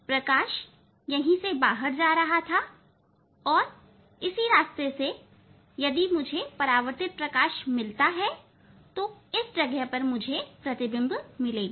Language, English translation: Hindi, Light was going out from this and in same place I will get image if I get the reflected light in same path